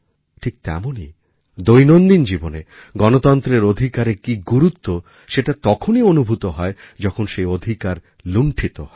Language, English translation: Bengali, Similarly, in day to day life, it is difficult to savour the joy of democratic rights, unless they are snatched away